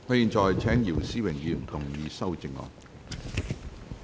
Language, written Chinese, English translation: Cantonese, 我現在請姚思榮議員動議修正案。, I now call upon Mr YIU Si - wing to move an amendment